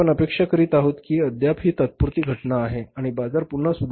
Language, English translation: Marathi, We are expecting that still it is a temporary phenomenon and the market will again improve